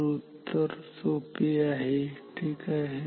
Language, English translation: Marathi, So, the answer is very simple ok